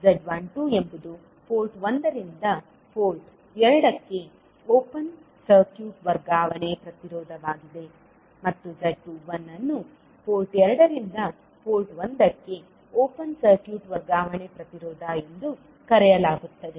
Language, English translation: Kannada, Z12 is open circuit transfer impedance from port 1 to port 2 and Z21 is called open circuit transfer impedance from port 2 to port 1